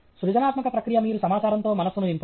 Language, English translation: Telugu, The creative process is you soak the mind with information